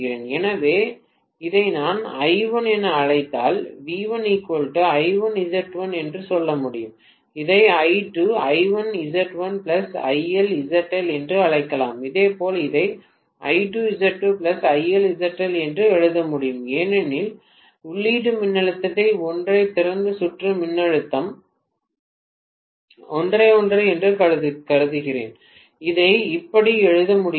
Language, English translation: Tamil, So, I would be able to say V1 right equal to I1 Z1 if I may call this as I1 and I may call this as I2, I1 Z1 plus IL ZL, right similarly I should also be able to write this as I2, Z2 plus IL ZL, because the input voltage is the same and I am assuming open circuit voltage is the same, I am able to write it like this